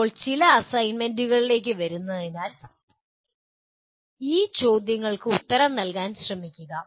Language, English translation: Malayalam, Now, coming to some assignments, try to answer these questions